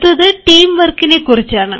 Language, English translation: Malayalam, then comes the teamwork